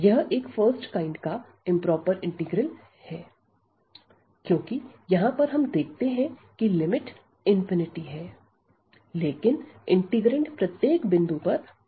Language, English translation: Hindi, So, this is the improper integral of a kind one or the first kind because here in the limit we do see a infinity, but the integrand at any point is bounded